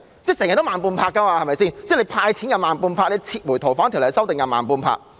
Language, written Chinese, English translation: Cantonese, 政府總是慢半拍，"派錢"慢半拍，撤回《逃犯條例》修訂又慢半拍。, The Government has always reacted slowly; it was slow in handing out cash and in withdrawing the Fugitive Offenders Bill